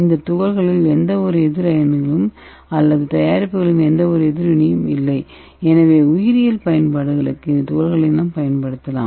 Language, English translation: Tamil, So these particles dont contain any counter ions or any reaction by products, so we can use that particle as such for the biological applications